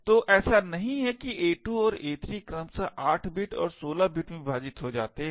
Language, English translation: Hindi, So not that a2 and a3 get truncated to 8 bit and 16 bit respectively